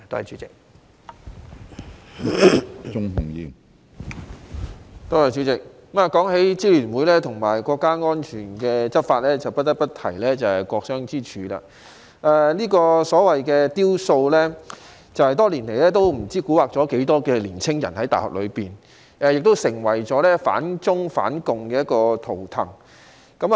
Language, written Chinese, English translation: Cantonese, 主席，談到支聯會和有關國家安全的執法，不得不提"國殤之柱"，這個所謂的"雕塑"，多年來也不知蠱惑了多少大學內的年青人，也成為反中、反共的圖騰。, President speaking of the Alliance and law enforcement for national security I cannot help but mention the Pillar of Shame the so - called sculpture . It has confused many young people in universities for many years and has become an anti - China and anti - Communist totem